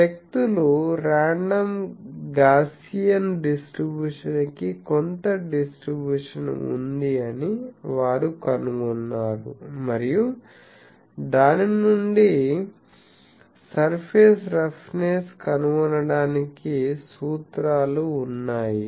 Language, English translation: Telugu, So, in terms of that people have found that is some distribution for a random Gaussian distribution they assume and from that there are formulas for finding the surface roughness